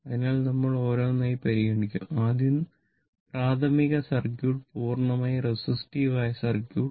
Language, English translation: Malayalam, So, we will considered 1 by 1: first, elementary circuit, a purely resistive circuit